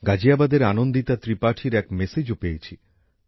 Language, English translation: Bengali, I have also received a message from Anandita Tripathi from Ghaziabad